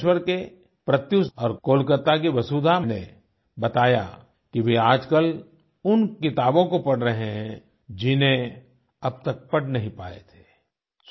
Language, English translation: Hindi, Pratyush of Bhubaneswar and Vasudha of Kolkata have mentioned that they are reading books that they had hitherto not been able to read